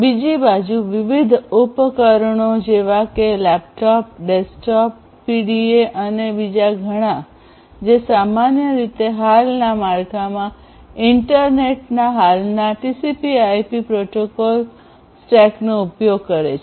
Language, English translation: Gujarati, And then we have on the other side you have different devices such as laptops, desktops you know then these PDAs and many others which typically in the existing framework use the existing TCP/IP protocol stack of the internet